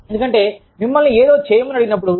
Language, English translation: Telugu, Because, when you are asked to do something